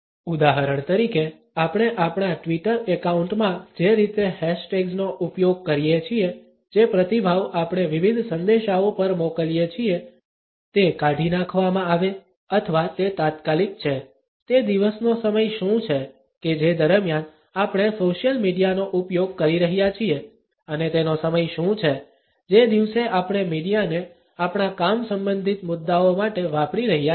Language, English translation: Gujarati, For example, the way we use hash tags on our Twitter account, the response which we send to different messages is delete or is it immediate, what is the time of the day during which we are using the social media and what is the time of the day in which we are using the media for our work related issues